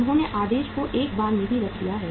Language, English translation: Hindi, They have placed the order once in a while